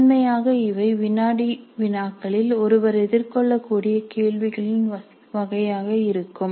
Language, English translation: Tamil, So, primarily this would be the type of questions that one could encounter in quizzes